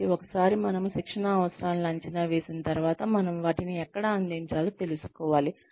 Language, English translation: Telugu, So, once we have assessed the training needs, then we need to find out, where we need to deliver them